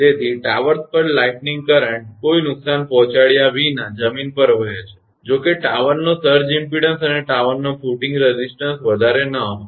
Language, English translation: Gujarati, So, lightning current flows to the ground at the towers without causing any damage provided that the surge impedance of towers and the resistance of the tower footing are not high